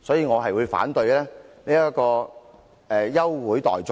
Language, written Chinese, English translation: Cantonese, 我反對這項休會待續議案。, I oppose the adjournment motion